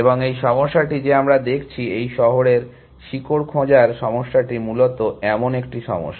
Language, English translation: Bengali, And this problem that we are looking at, this city route finding problem is such a problem essentially